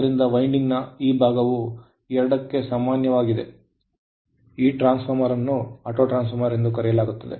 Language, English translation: Kannada, So, that part of the winding is common to both, the transformer is known as Autotransformer